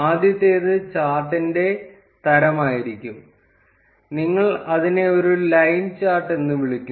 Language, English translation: Malayalam, The first one would be the type of the chart; you name it as a line chart